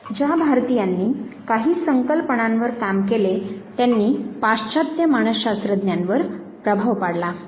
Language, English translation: Marathi, Those Indians who worked on certain concepts and then they did influence the western psychologists